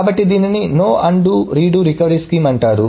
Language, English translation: Telugu, So this is called no undo or redo recovery scheme